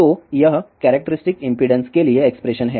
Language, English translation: Hindi, So, this is the expression for characteristic impedance